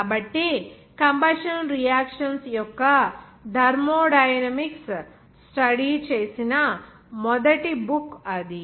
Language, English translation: Telugu, So that was the first book to study the thermodynamics of combustion reactions